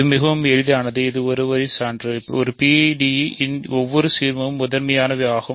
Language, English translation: Tamil, This is very easy right this is a one line proof: every ideal of a PID is principal